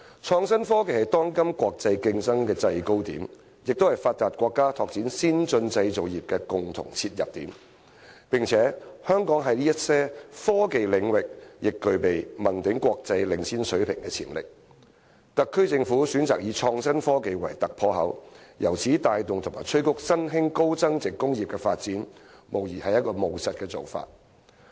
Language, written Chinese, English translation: Cantonese, 創新科技是當今國際競爭的制高點，也是發達國家拓展先進製造業的共同切入點，香港在一些科技領域具備問鼎國際領先水平的潛力，特區政府選擇以創新科技為突破口，由此帶動和催谷新興高增值工業的發展，無疑是務實的做法。, IT is the commanding height of todays international competition as well as the common entry point for developed countries to develop advanced manufacturing industries . Given Hong Kongs potential to play a leading role internationally in some technology areas it is undoubtedly pragmatic for the SAR Government to choose and use IT as a bridgehead to drive and boost the development of emerging high value - added industries